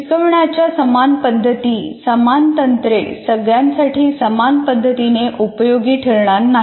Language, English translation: Marathi, So same methods, same techniques will not work the same way for all